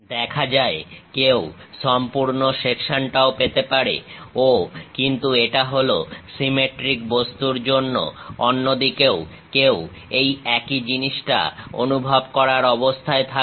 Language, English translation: Bengali, One can have complete section show that; but it is because of symmetric object, the same thing one will be in a position to sense it on the other side